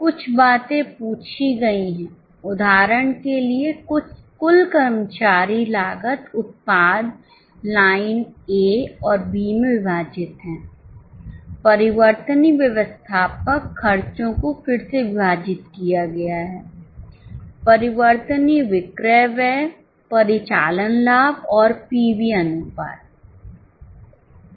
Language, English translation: Hindi, A few things have been asked like for example total employee cost broken into product line A and B, variable admin expenses again broken, variable selling expenses, operating profit and PV ratio